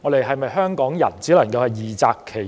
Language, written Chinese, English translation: Cantonese, 香港人是否只能二擇其一？, Is it that Hong Kong people can only choose one of the two?